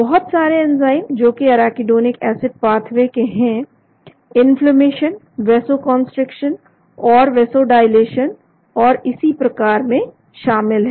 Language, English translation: Hindi, Large number of enzymes in the arachidonic acid pathway, which are involved in the inflammation, vasoconstriction and vasodilation, and so on, actually